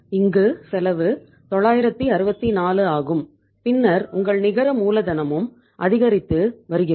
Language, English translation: Tamil, This is the cost 964 and then your net working capital is also increasing